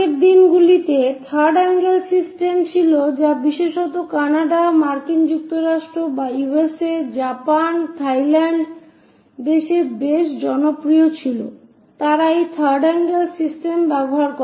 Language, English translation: Bengali, Earlier days it used to be third angle system quite popular especially in Canada, USA, Japan, Thailand countries; they go with this third angle system